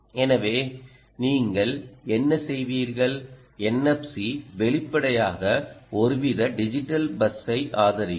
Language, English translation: Tamil, the n f c would obviously support some sort of digital bus